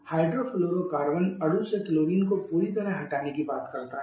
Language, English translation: Hindi, Hydrofluorocarbon talks about the removal of complete removal of chlorine from the molecule